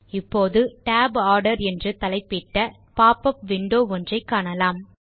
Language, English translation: Tamil, Now, we see a small popup window with Tab Order as its title